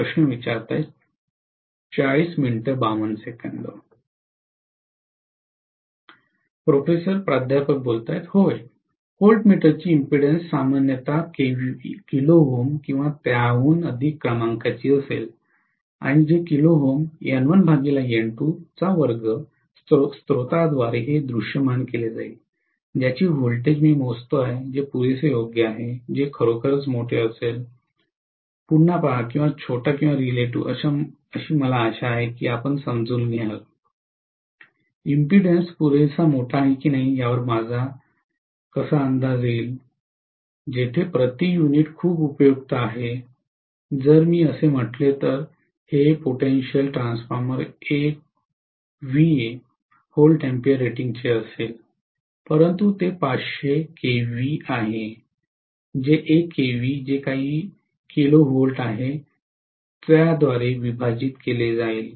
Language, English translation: Marathi, (()) (40:52) Yes, impedance of the voltmeter generally will be of the order of kilo ohms or even more and that kilo ohms multiplied by N1 by N2 the whole square will be visualized by the source, whose voltage I measuring, which is fair enough, which is going to be really, really large that, see again large or small or relative, I hope you understand, how do I guess whether the impedance is large enough or not, that is where the per unit is very useful, if I say this potential transformer is going to be of 1 V ampere rating, but it is going to be 500 kV divided by whatever kilovolt it is, 1 kV